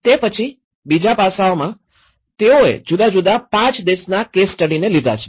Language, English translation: Gujarati, Then, the second aspect is they have taken 5 case studies, each from different country